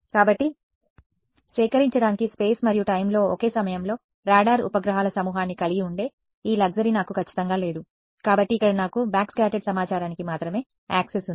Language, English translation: Telugu, So, do not I absolutely do not have this luxury of having a swarm of radar satellites at the same point in space and time to collect; so, here I have access only to backscattered information